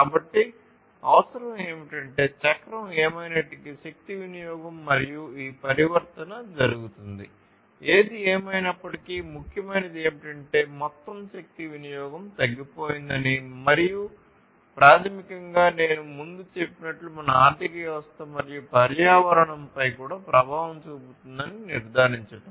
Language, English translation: Telugu, So, what is required is whatever be the cycle, however, the energy consumption and this transformation takes place, whatever be it what is important is to ensure that there is reduced energy consumption overall and that basically we will also have an impact on the economy and the environment as I said earlier